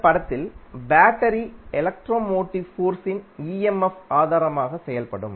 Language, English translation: Tamil, Here, battery will act as a source of electromotive force that is simply called as emf